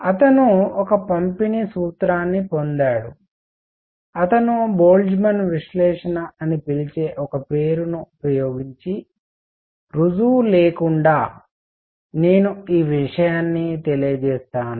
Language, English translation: Telugu, And he got a distribution formula what he said is I will I will just state this without any proof he used some name call the Boltzmann’s analysis